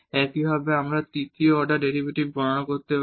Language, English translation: Bengali, Similarly, we can compute the third order derivative